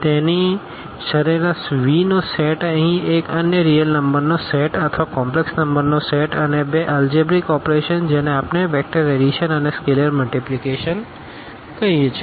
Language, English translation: Gujarati, So, the mean set V here one another set of real numbers or the set of complex number and two algebraic operations which we call vector addition and scalar multiplication